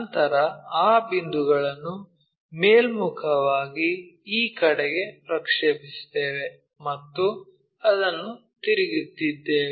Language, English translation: Kannada, Then, we project those points in the upward direction towards this, and this one what we are rotating